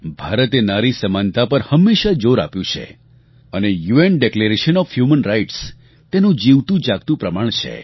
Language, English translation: Gujarati, India has always stressed on the importance of equality for women and the UN Declaration of Human Rights is a living example of this